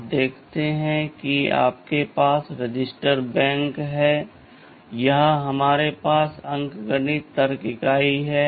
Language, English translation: Hindi, You see you have all the registers say register bank, here we have the arithmetic logic unit